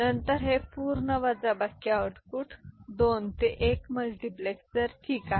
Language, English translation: Marathi, And then this out, this full subtractor output goes to a 2 to 1 multiplexer ok